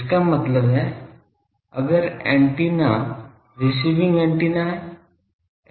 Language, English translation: Hindi, That means, if the antenna is receiving antenna